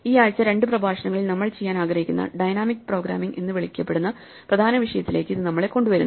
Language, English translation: Malayalam, This brings us to the main topic that we want to do this week in a couple of lectures which is called dynamic programming